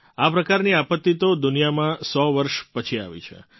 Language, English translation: Gujarati, This type of disaster has hit the world in a hundred years